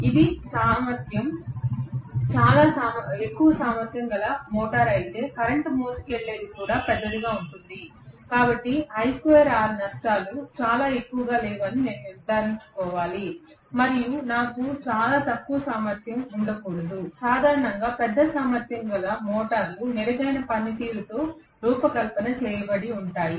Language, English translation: Telugu, But if it a very high capacity motor the current carried will also be large, so I have to make sure that I square r losses are not too high and I should not have very low efficiency, generally large capacity motors retain to design with a better performance